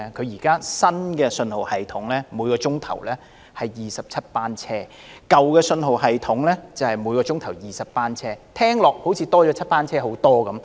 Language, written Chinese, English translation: Cantonese, 現時新信號系統每小時有27班車，舊信號系統每小時有20班車，多了7班車，載客量似乎增加不少。, Under the new signalling system there will be 27 trains per hour whereas under the old signalling system there are 20 trains per hour . With the increase of seven trains it seems that the carrying capacity will also increase substantially